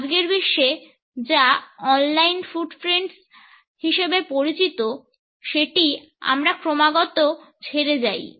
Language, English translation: Bengali, In today’s world, we continuously leave what is known as on line footprints